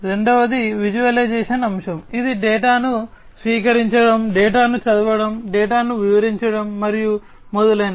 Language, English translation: Telugu, Second is the visualization aspect, which is about receiving the data, reading the data, interpreting the data and so on